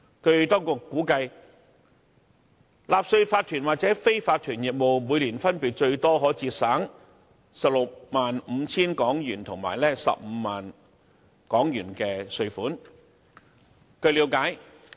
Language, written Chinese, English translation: Cantonese, 據當局估計，納稅法團或非法團業務每年分別最多可節省 165,000 元及 150,000 元的稅款。, It is estimated that a tax - paying corporation or unincorporated business may save up to 165,000 and 150,000 in tax payment respectively each year